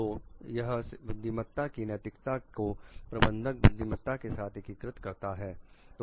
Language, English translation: Hindi, So, it integrates like ethics of wisdom with the management wisdom